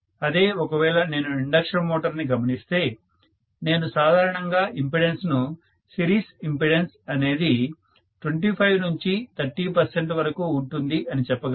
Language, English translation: Telugu, Whereas, if I look at an induction motor I can say normally the impedances, series impedances will add up to 25 to 30 percent